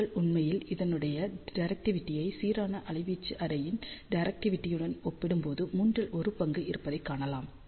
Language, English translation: Tamil, So, you can actually see the directivity of this is about two third of the directivity of uniform amplitude array